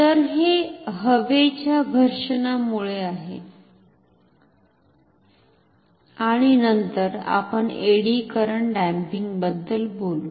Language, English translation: Marathi, So, this is due to air friction and then we will talk about eddy current damping